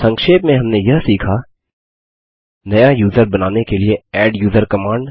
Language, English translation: Hindi, To summarise, we have learnt: adduser command to create a new user